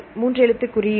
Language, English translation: Tamil, Three letter code